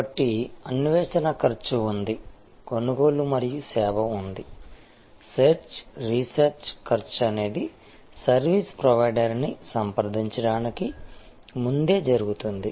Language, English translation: Telugu, So, there is search cost, there is purchase and service, search research cost is that happens even before the consumer is approaching the service provider